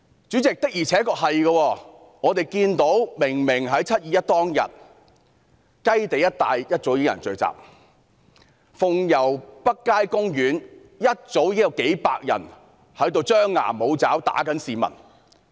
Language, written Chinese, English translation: Cantonese, 我們明明看到在"七二一"當天，雞地一帶早已有人聚集，在鳳攸北街休憩處一早已有數百人張牙舞爪，襲擊市民。, We clearly saw some people gathering at the area around Kai Tei on 21 July and hundreds of people making threatening gestures and attacking the public in the Fung Yau Street North Sitting - Out Area earlier on that day